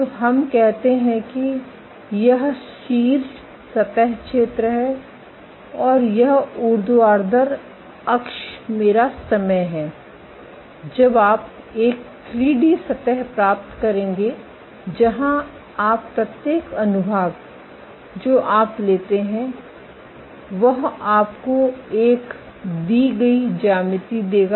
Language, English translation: Hindi, So, let us say this top surface is the area and this vertical axis is my time you would get a 3D, surface where every section that you take every section that you take will give you a given geometry